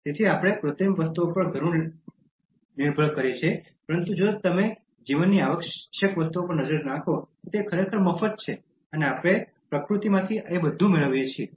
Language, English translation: Gujarati, So, we depend so much on artificial things, but if you look at the essential things in life, they are actually free, and we get everything from nature